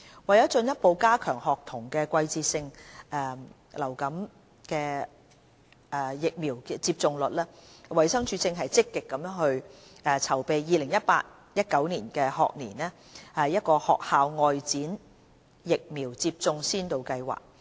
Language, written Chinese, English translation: Cantonese, 為進一步加強學童的季節性流感疫苗接種率，衞生署正積極籌備 2018-2019 學年學校外展疫苗接種先導計劃。, To further increase seasonal influenza vaccination uptake rate amongst primary school students DH is gearing up the School Outreach Vaccination Pilot Programme for the School Year 2018 - 2019